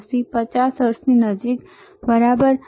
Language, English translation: Gujarati, 86 close to 50 hertz, right